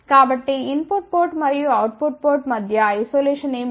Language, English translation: Telugu, So, that means, what is the isolation between input port and the output port